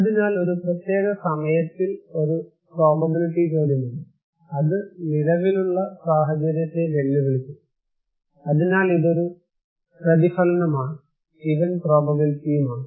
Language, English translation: Malayalam, So there is a probability question in a particular time question, and it would challenge the existing situation, and so it is a consequence and is the event probability